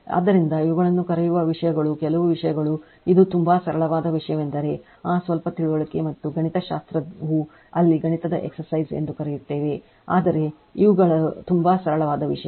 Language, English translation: Kannada, So,so, this are your what you call these are the things certain things it is very simple thing only thing is that that little bit of understanding and mathematical your what you callmathematical exercise there, but these are the very simple thing right